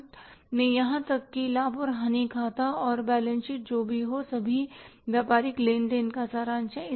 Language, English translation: Hindi, Finally even the profit and loss account and balance sheet that is the summary of all the business transactions